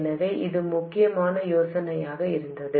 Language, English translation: Tamil, So, this was the essential idea